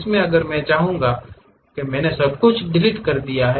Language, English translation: Hindi, In this if I would like to because I have deleted everything